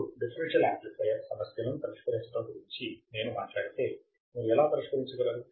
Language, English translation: Telugu, Now, if I talk about solving the differential amplifier problems this is how you can solve the differential amplifier